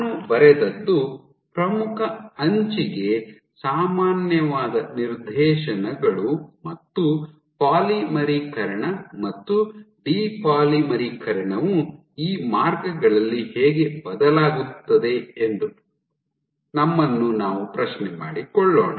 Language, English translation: Kannada, So, what I have drawn are directions which are normal to the leading edge and we ask that how does polymerization and depolymerization vary along these lines